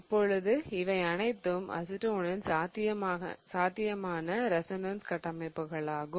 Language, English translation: Tamil, Okay, now all of these are possible resonance structures of acetone